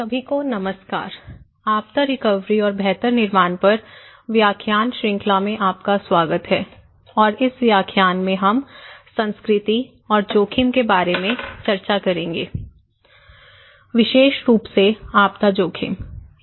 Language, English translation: Hindi, Hello everyone, welcome to the lecture series on disaster recovery and build back better, in this lecture we will discuss about culture and risk particularly in disaster risk